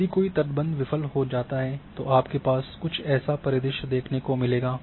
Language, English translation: Hindi, If a dike fails then this is the scenario which you are going to have